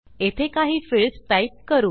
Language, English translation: Marathi, Lets type a couple of fields here